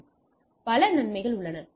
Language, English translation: Tamil, So, there are several benefits